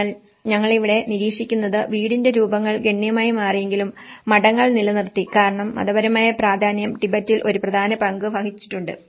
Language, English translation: Malayalam, So, what we observe here is the house forms have changed drastically but monasteries has retained because the religious significance played an important role in the Tibetans